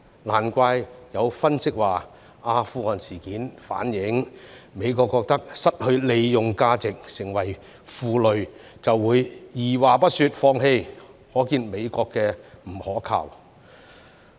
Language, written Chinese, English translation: Cantonese, 難怪有分析指出，阿富汗事件反映美國認為失去利用價值、成為負累，便會二話不說放棄，可見美國的不可靠。, No wonder why some analyses have stated that what happened in Afghanistan is a revelation of the United States attitude abandoning immediately whatever deemed to have lost value and become a liability . It shows that the United States is unreliable